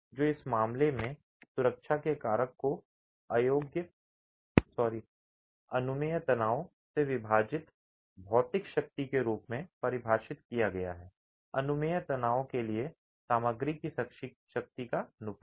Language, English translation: Hindi, So, the factor of safety in this case is defined as the material strength divided by the permissible stress, the ratio of the material strength to the permissible stress